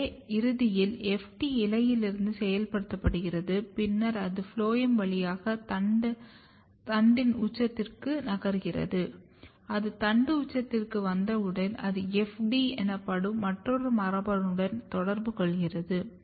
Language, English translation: Tamil, So, eventually if you look here FT is getting activated in leaf and then it is moving through the phloem to the shoot apex once it reached to the shoot apex it basically interact with another gene called FD and these two are very very important